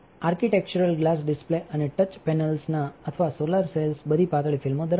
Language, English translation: Gujarati, Architectural glass displays and touch panels or solar cells all contains thin films